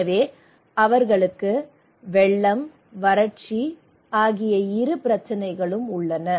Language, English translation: Tamil, So they have both issues of flood and drought